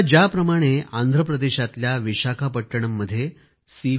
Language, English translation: Marathi, C V Raju in Vishakhapatnam of Andhra Pradesh